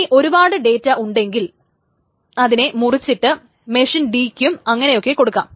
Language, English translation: Malayalam, And if you have more data you just cut it out more and you give it to machine D etc